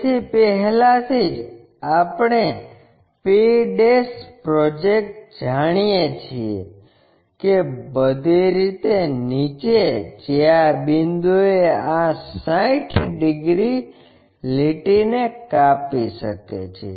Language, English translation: Gujarati, So, already we know p' project that all the way down may which cuts this 60 degrees line at this point